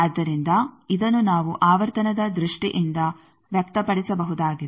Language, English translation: Kannada, So, this is in terms of frequency we can express this